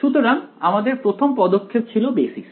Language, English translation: Bengali, So, first step was basis